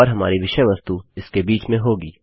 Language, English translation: Hindi, And our text goes in between here